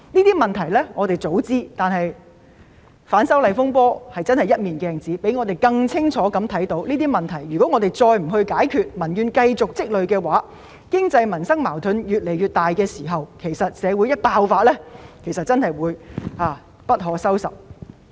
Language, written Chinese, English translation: Cantonese, 雖然我們早知道這些問題，但反修例風波猶如一面鏡子，讓我們更清楚看到這些問題，如果我們再不解決這些問題，讓民怨繼續積累下去，當經濟、民生矛盾越來越大的時候，所引發出來的危機真的會一發不可收拾。, Although we knew long ago the existence of such problems the disturbances arising from the opposition to the proposed legislative amendments have like a mirror enabled us to see these problems more clearly . If we still do not solve these problems and allow peoples grievances to build up when the conflicts relating to the economy and peoples livelihood become increasingly serious the crisis triggered will really get out of control